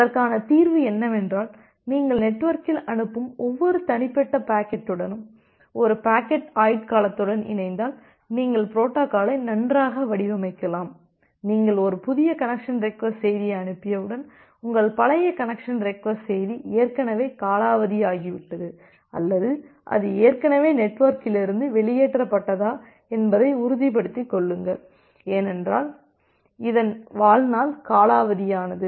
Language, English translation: Tamil, And the solution is that if you associate with a packet life time with every individual packet that you are sending in the network, then you can say or you can design the protocol that well, once you are sending a new connection request message, you will make sure that the old connection request message it has already died off or it has already been taken out of the network, because it is lifetime has been expired